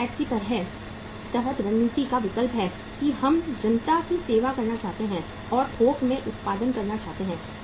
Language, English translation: Hindi, That is the is the choice of the strategy under the penetration we would like to serve the masses and to produce in bulk